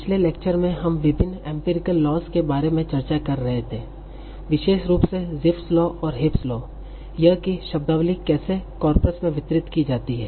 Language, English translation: Hindi, So in the last lecture we were discussing about various empirical lodge, so in particular, Jeefs law and Heaps law, that how the words in the vocabulary are distributed in a corpus